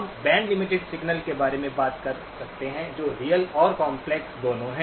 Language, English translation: Hindi, We can talk about band limited signals that are both real as well as complex